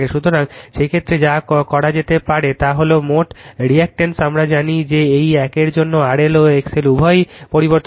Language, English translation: Bengali, So, in this case your what you can do is that your total impedance your we know that for the this one R L and X L both are variable